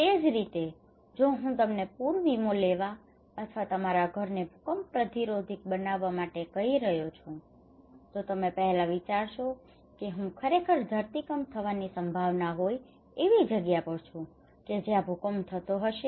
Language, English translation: Gujarati, So similarly if I am asking you to take a flood insurance or to build your house earthquake resistant, you will first think am I at a place where earthquake is happening, is it really prone to earthquake right